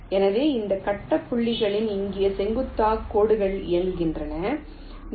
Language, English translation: Tamil, so so, on these grid points, you run perpendicular lines